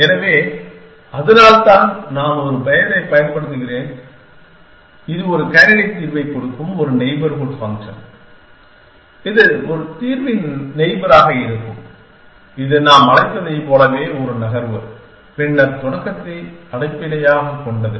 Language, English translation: Tamil, So, that is why am use a name n have, it is a neighborhood function a given a candidate solution a this be a neighborhood of the solution which is the same as what we called is a move then the start essentially